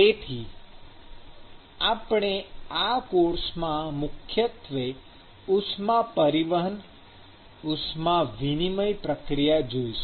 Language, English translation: Gujarati, And so, we will see in this course the primarily the heat transport, heat transfer process